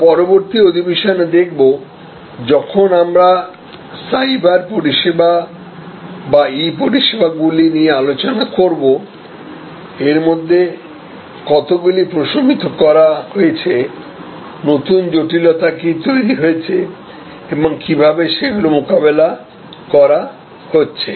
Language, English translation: Bengali, We will see in the next session, when we discuss about cyber services or E services, how many of these are mitigated, new complexities and how they are being tackled